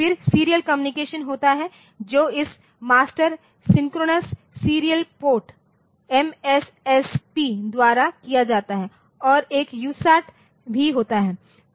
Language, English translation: Hindi, Then there are serial communication so, that a done by this Master Synchronous Serial Port MSSP and also have one user